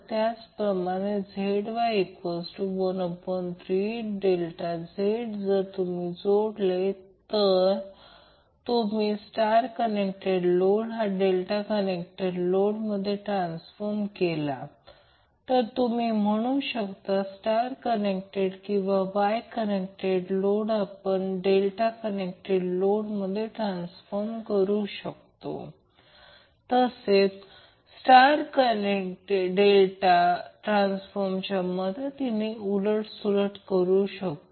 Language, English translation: Marathi, Similarly ZY will be 1 upon 3 of Z delta if you connect if you convert a star connected load into delta connected load, so we can say that the star connected or wye connected load can be transformed into delta connected load, or vice versa with the help of the star delta transformation which we discussed earlier